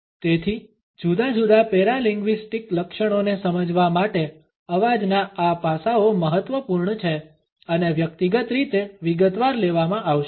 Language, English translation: Gujarati, So, these aspects of voice are important in order to understand different paralinguistic features and would be taken up in detail individually